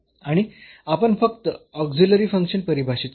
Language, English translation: Marathi, And we just define in an auxiliary function